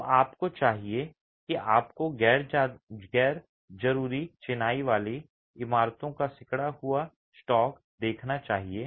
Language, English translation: Hindi, So you should you should see a shrinking stock of unreinforced masonry buildings